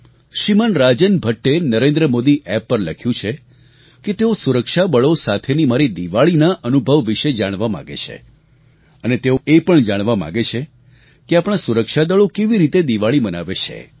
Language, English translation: Gujarati, Shriman Rajan Bhatt has written on NarendramodiApp that he wants to know about my experience of celebrating Diwali with security forces and he also wants to know how the security forces celebrate Diwali